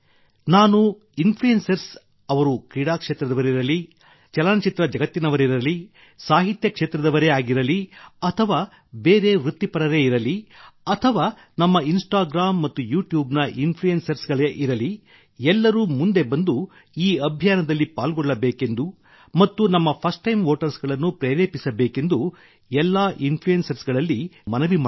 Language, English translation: Kannada, I would also urge the influencers of the country, whether they are from the sports world, film industry, literature world, other professionals or our Instagram and YouTube influencers, they too should actively participate in this campaign and motivate our first time voters